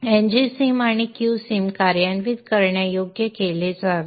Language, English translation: Marathi, NG sim and Q sim should be made executable